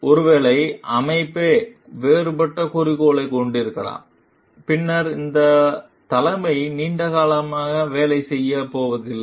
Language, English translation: Tamil, And maybe the organization itself has a different goal, then this leadership is not going to work for a long